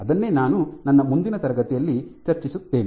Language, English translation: Kannada, That is what I will discuss in next class